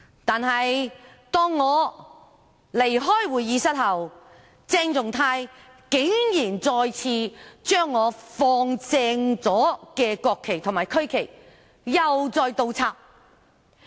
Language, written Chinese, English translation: Cantonese, 但是，當我離開會議廳後，鄭松泰議員竟然再次將我放正了的國旗及區旗倒轉擺放。, However after I had left the Chamber Dr CHENG Chung - tai once again inverted the national and regional flags that I had placed correctly